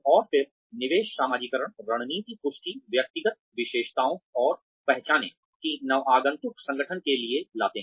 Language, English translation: Hindi, And again, investiture socialization tactic affirms, the personal characteristics and identity, that the newcomer brings to the organization